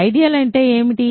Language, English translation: Telugu, So, what is an ideal